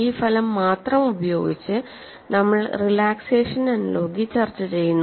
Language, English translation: Malayalam, This result is known; with this result only, we discuss the relaxation analogy